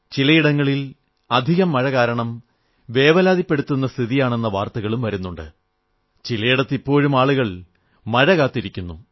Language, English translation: Malayalam, At places, we are hearing of rising concerns on account of excessive showers; at some places, people are anxiously waiting for the rains to begin